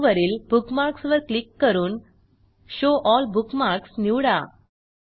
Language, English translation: Marathi, From Menu bar, click on Bookmarks and select Show All Bookmarks